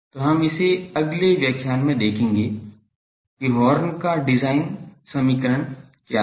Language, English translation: Hindi, So, that we will take up in the next lecture, that what is the design equation of the horn